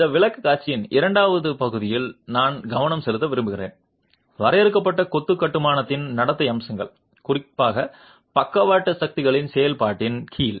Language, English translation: Tamil, The second half of this presentation I would like to focus on the behavioral aspects of confined masonry construction, particularly under the action of lateral forces